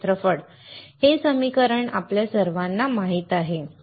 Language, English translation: Marathi, Area; We all know this equation